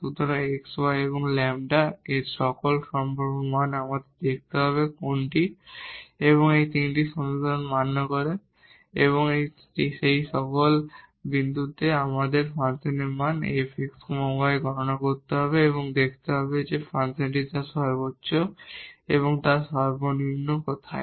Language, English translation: Bengali, So, all possible values of x y lambda we have to see which satisfy all these 3 equations and then at all those points we have to compute the function value f x y and see where the function is attaining its maximum and its minimum